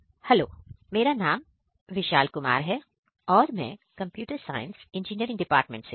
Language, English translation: Hindi, My name is Vishal Kumar from Computer Science and Engineering department